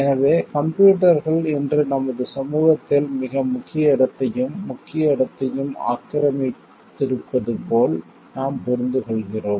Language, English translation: Tamil, So like we understand like computers today occupy a very prominent place in important place in our society